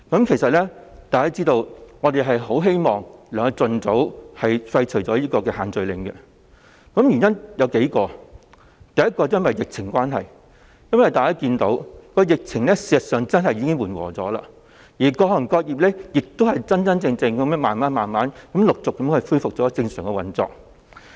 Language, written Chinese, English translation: Cantonese, 其實大家都知道，我們很希望可以盡早廢除限聚令，原因有數個：第一，疫情方面，事實上，大家看到疫情已緩和，各行各業真真正正地逐漸恢復正常運作。, In fact as Members know there are several reasons why we are eager to repeal the social gathering restriction as soon as possible first regarding the epidemic situation we can actually see that there has been abatement of the epidemic and all sectors and trades have gradually resumed normal operation for real . Just now I also pointed out that school had begun to resume classes